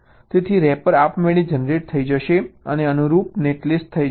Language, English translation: Gujarati, so the rapper will be automatically generated and the corresponding net list is done